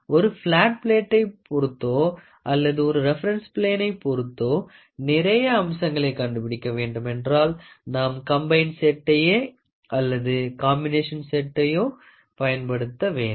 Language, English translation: Tamil, Suppose if we wanted to find out several features, the dimensions of several features with respect to one flat plate or one reference plane then we would like to go for combined set combination combined set or combination set